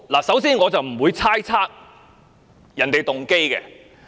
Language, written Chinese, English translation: Cantonese, 首先，我不會猜測別人的動機。, First I must say that I will not speculate other peoples motives